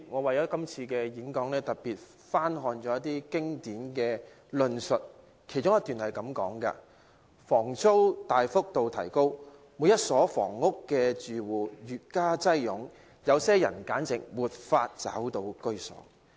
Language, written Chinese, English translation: Cantonese, 為了是次發言，我特意翻看一些經典著作，以下引述自其中一段："房租大幅度提高，每一所房屋的住戶越加擁擠，有些人簡直無法找到居所。, To prepare for this speech I have purposely looked through some classical works . The following is quoted from one paragraph Rents have risen significantly . The home of every household has been increasingly congested; some people cannot even find a place to live